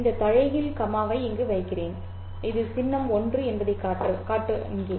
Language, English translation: Tamil, And I put this inverted comma here to show that this is a symbol